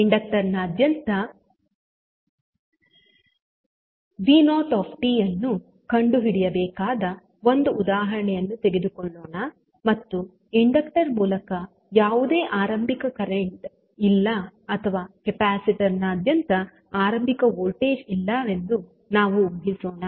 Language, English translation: Kannada, Let us take one example where we need to find out v naught at any time T across the inductor and we assume that there is no initial current through the inductor or initial voltage across the capacitor, so it will have the 0 initial condition